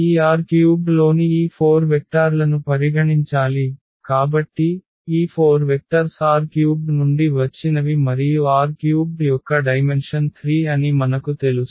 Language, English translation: Telugu, Consider this 4 vectors in this R 3; so, if we consider these 4 vectors are from R 3 and we know the dimension of R 3 is 3